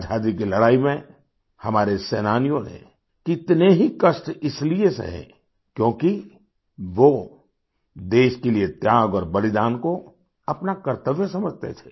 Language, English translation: Hindi, In the struggle for freedom, our fighters underwent innumerable hardships since they considered sacrifice for the sake of the country as their duty